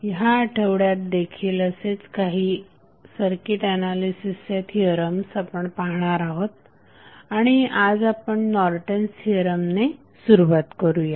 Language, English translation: Marathi, So, we will continue in this week with few other theorems which are very important for the circuit analysis purpose and we will start with Norton's Theorem today